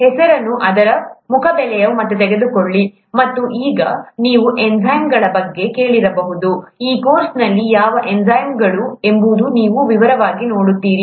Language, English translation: Kannada, Just take the name on its face value, and now you might have heard of enzymes, you will actually look at what enzymes are in detail in this course